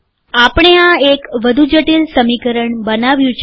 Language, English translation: Gujarati, So I have created a more complicated one